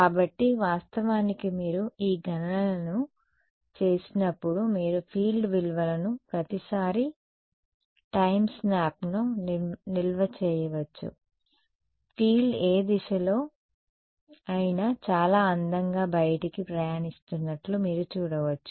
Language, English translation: Telugu, So, actually when you do these calculations you can store the field values at every time snap you can see very beautifully field is travelling outwards in whatever direction